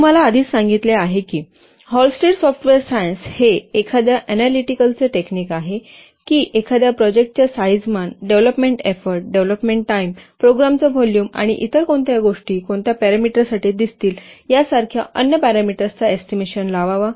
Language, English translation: Marathi, I have already told you that Hullstreet software science is an analytical technique for what to estimate different parameters of a project so that the size, the development effort, development time, the program volume and so many other things you will see for what parameters it can be used to estimate